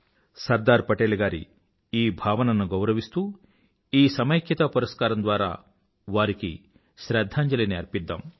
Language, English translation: Telugu, It is our way of paying homage to Sardar Patel's aspirations through this award for National Integration